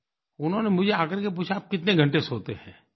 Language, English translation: Hindi, He asked me, "How many hours do you sleep